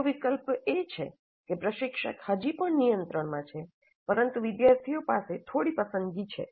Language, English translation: Gujarati, The second alternative is that instructor is still in controls, but students have some choice